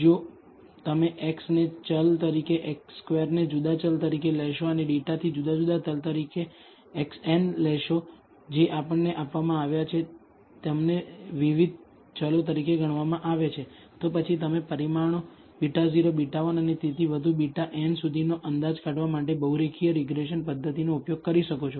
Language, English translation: Gujarati, If you take x as a variable x squared as a different variable and x n as a different variable computed from data that we are given treat them as different variables, then you can use multi linear regression methods in order to estimate the parameters beta naught beta 1 and so on up to beta n